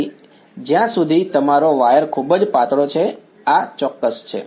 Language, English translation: Gujarati, So, as long as your wire is very thin, this is exact